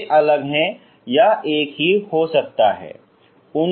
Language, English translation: Hindi, They are same or they are distinct or same can be same